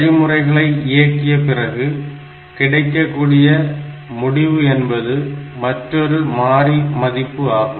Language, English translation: Tamil, After executing the instruction, the result that is produced is again another variable value